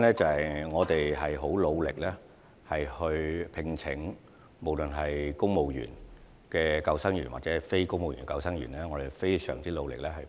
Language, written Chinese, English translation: Cantonese, 因為，不論是聘請公務員救生員或非公務員救生員，我們也很努力。, Indeed we have endeavoured to recruit civil service lifeguards and NCSC lifeguards